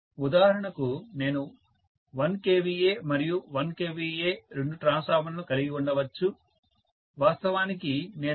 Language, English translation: Telugu, For example, I may have 1 kVA and 1 kVA two transformers, I might like to actually supply 1